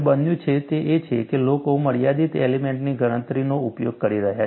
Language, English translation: Gujarati, What has happened is, people are using finite element calculation